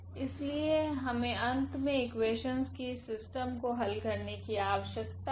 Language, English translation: Hindi, So, we need to solve finally, this system of equations